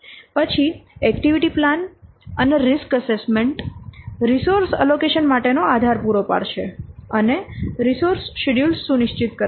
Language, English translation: Gujarati, Then the activity plan and the risk assessment would provide the basis for the resource allocation and the resource schedule